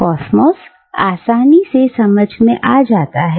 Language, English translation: Hindi, Cosmos is easily understood